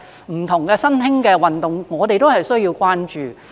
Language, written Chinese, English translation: Cantonese, 其實很多不同的新興運動，我們也需要關注。, In fact there are many different emerging sports that we need to pay attention to